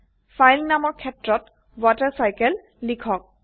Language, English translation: Assamese, The file is saved as WaterCycle